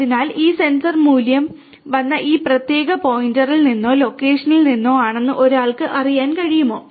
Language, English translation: Malayalam, So, one can know that this is from this particular point or location from where this sensor value has come